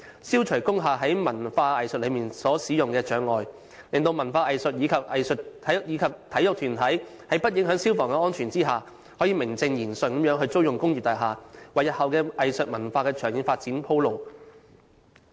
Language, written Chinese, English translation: Cantonese, 消除工廈在文化藝術使用上的障礙，使文化藝術及體育團體在不影響消防安全的條件下，能夠名正言順地租用工業大廈，並為日後的藝術文化的長遠發展鋪路。, It should remove the hurdles in the use of industrial buildings so that such buildings can be used for cultural and arts usages and hence cultural and arts groups can justifiably rent units in industrial buildings in order to pave the way for the long - term development of arts and cultural initiatives provided that fire safety is not compromised